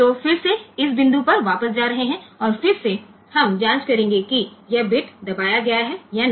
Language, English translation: Hindi, So, again it will be going back to this point and again we will check whether this bit is pressed or not